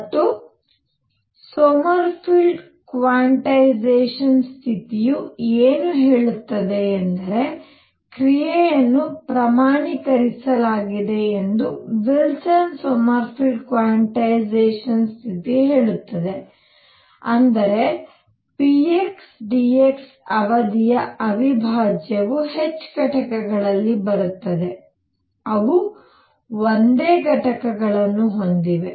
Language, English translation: Kannada, And what Sommerfeld quantization condition tells is that Wilson Sommerfeld quantization condition it says that action is quantized that means, integral over a period of p x dx comes in units of h, they have the same units